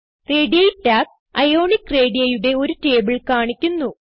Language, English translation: Malayalam, Radii tab shows a table of Ionic radii